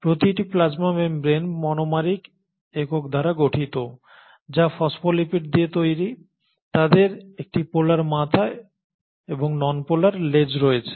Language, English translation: Bengali, Now each plasma membrane is made up of monomeric units which are made, called as phospholipids with; they have a polar head and the nonpolar tails